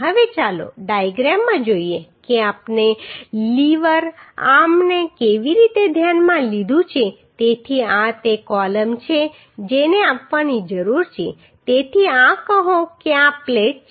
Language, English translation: Gujarati, Now let us see uhh in the diagram that how we have considered the lever arm so these are the this is the column which needs to be spliced so this is say this is a plate